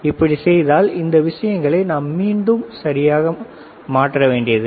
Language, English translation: Tamil, So, we do not have to alter these things again and again right